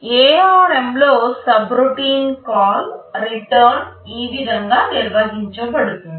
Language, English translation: Telugu, This is how in ARM subroutine call/return can be handled